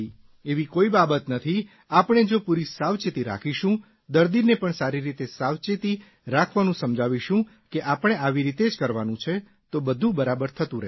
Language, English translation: Gujarati, If we observe precautions thoroughly, and explain these precautions to the patient that he is to follow, then everything will be fine